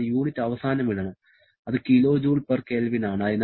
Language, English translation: Malayalam, I should put the unit at the end, which is kilo joule per Kelvin